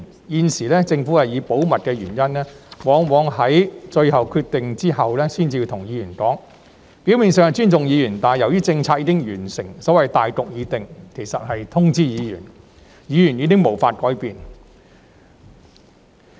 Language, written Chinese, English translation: Cantonese, 現時，政府以保密理由，往往在作出最後決定後才跟議員商討，表面上是尊重議員，但由於政策已經訂立，所謂"大局"已定，只是通知議員，其實已經無法改變。, At present using confidentiality as a reason the Government often holds discussions with Members only after a final decision has been made . On the surface this is a sign of respect for Members but as the policy has already been formulated the so - called general situation is cut and dried so Members are only being informed and there is actually no way to make any changes